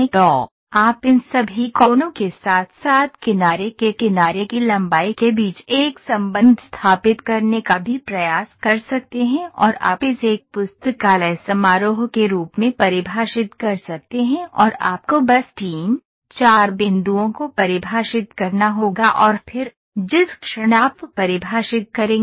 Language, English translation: Hindi, So, you can also try to establish a relationship between all these angles as well as the side edge length and you can define it as a primi you can library function and all you have to do is, define some 3, 4 points and then, moment you define this 3, 4 points the rest of the object is getting constructed